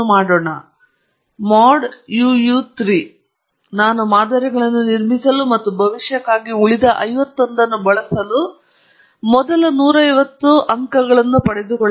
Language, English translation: Kannada, And also, what I am going to do, is I am going to pick the first hundred and fifty points for building the models and use the remaining fifty one for prediction